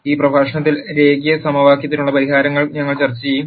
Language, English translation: Malayalam, In this lecture, we will discuss solutions to linear equation